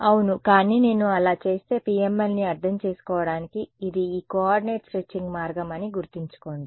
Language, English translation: Telugu, Yeah, but if I make so that the remember that is this coordinate stretching way of understanding PML